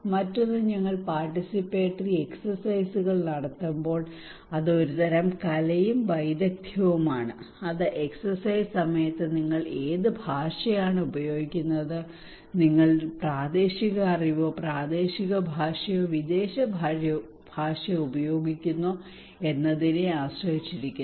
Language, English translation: Malayalam, Another one is that when we conduct participatory exercises, it is a kind of art and a kind of skill, it depends on what language you are using during the exercise, are you using local knowledge, local language or the foreign language